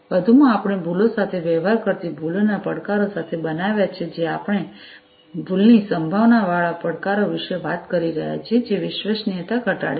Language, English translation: Gujarati, So, additionally, we have built with the challenges of errors dealing with errors we are talking about error prone challenges, which decreases the reliability